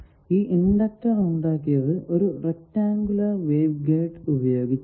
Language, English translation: Malayalam, An inductor is formed by a rectangular wave guide